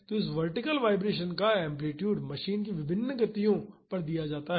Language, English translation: Hindi, So, the amplitude of this vertical vibration is given at different speeds of the machine